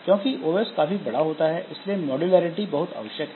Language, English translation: Hindi, And since OS is very large, modularity is very important